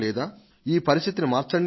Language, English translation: Telugu, Please change this situation